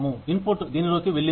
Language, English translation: Telugu, The input, that went into it